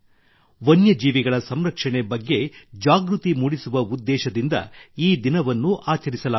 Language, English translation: Kannada, This day is celebrated with the aim of spreading awareness on the conservation of wild animals